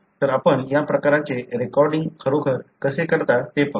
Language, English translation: Marathi, So, let us see how you really do this kind of recording